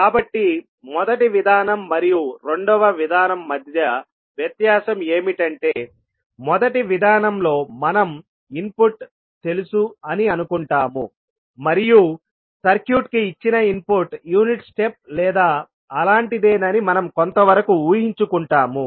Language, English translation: Telugu, So, the difference between first approach and second approach is that – in first approach we assume input as known and we take some assumption that the input given to the circuit is maybe unit step or something like that